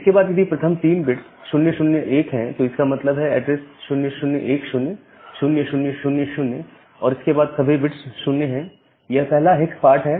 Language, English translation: Hindi, Then, if the first 3 bits are 001; that means, this 001 means, the address is 0010 0000 then all 0’s, that is the first hex part